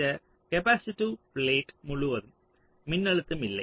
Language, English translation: Tamil, so across this capacitive plate there is no voltage